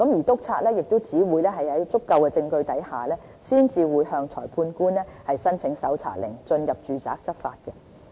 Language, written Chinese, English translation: Cantonese, 督察只會在有足夠證據下，才會向裁判官申請搜查令，進入住宅執法。, Inspectors will only apply for search warrant from a magistrate after collecting adequate evidence to enter a domestic premise for law enforcement